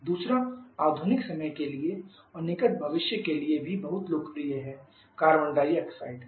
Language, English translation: Hindi, Second is the very popular one for the modern times and also for near future that is carbon dioxide